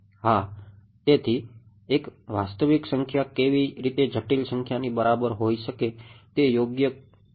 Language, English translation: Gujarati, So, how can a real number be equal to complex number cannot be right